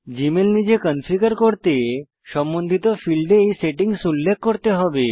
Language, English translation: Bengali, To configure Gmail manually, you must enter these settings in the respective fields